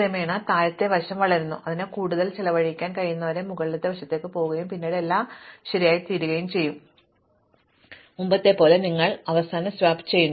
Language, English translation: Malayalam, And gradually the lower side grows, until it can expend no more, the upper side goes and then everything is in place and then, you do the final swap as before